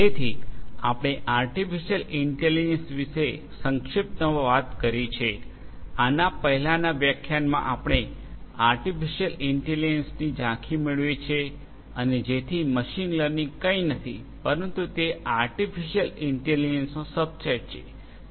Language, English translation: Gujarati, So, we have spoken about artificial intelligence briefly we have got an overview of artificial intelligence in an earlier lecture and so, machine learning is nothing, but it is a subset of artificial intelligence